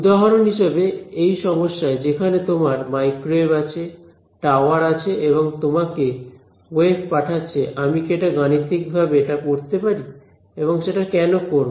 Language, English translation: Bengali, For example to this problem which is which has your microwave, tower and sending your waves to you can I study it mathematically and why would that be of interest